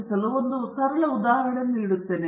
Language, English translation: Kannada, I will give a very simple example for this